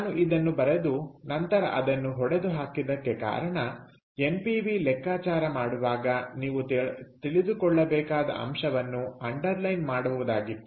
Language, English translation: Kannada, ok, so the reason i wrote this and then struck it off is just to underline the point that you need to know while calculating npv